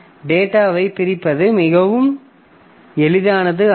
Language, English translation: Tamil, So, this data splitting is not very easy